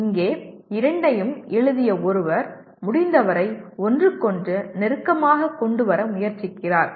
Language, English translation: Tamil, Here is someone who has written these two trying to bring them as close to each other as possible